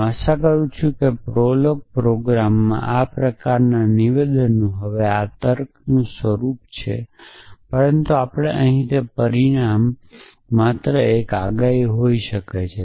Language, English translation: Gujarati, I hope prolog programme a statement of these kinds now this is a restricted form of logic, but we do not go into that the restriction here is that the consequent can only be one predicate